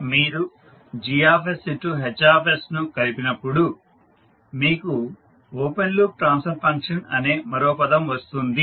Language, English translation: Telugu, When you combine Gs into Hs you get another term called open loop transfer function